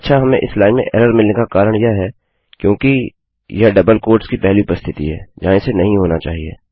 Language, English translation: Hindi, Okay so the reason that we are getting an error in this line is because this is the first occurrence of a double quotes where it shouldnt be